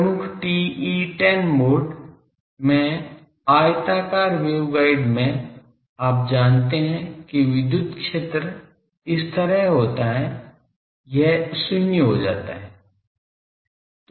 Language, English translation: Hindi, In the rectangular wave guide in the dominant TE10 mode you know that electric field is like this, this goes to 0